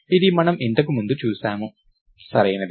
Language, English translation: Telugu, We saw this before, right